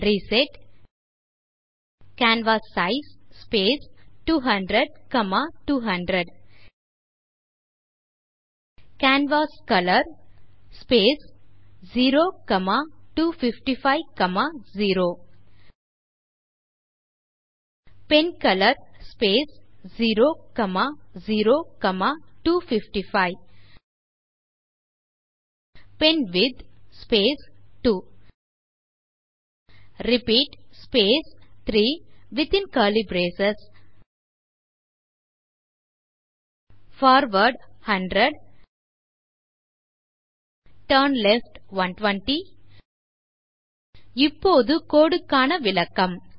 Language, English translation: Tamil, Type the following commands into your editor: reset canvassize space 200,200 canvascolor space 0,255,0 pencolor space 0,0,255 penwidth space 2 repeat space 3 within curly braces { forward 100 turnleft 120 } Let me now explain the code